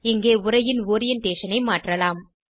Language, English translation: Tamil, Here you can change Orientation of the text